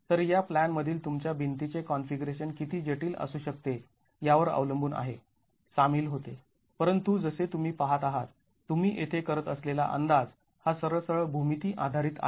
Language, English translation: Marathi, So, this is depending on how complex your wall configuration in the plan can be becomes involved, but as you can see, it's straightforward geometry based estimation that you are doing here